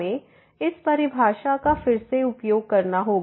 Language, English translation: Hindi, We have to use again this definition